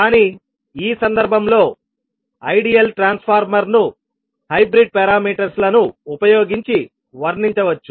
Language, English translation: Telugu, But in this case the ideal transformer can be described using hybrid parameters